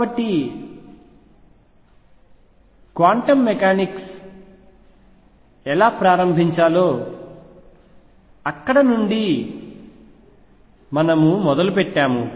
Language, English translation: Telugu, So, we started with how quantum mechanics started